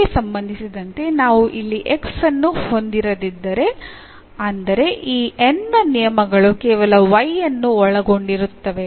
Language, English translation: Kannada, So, the terms of N if we take here containing not containing x meaning that terms of this N which contains only the y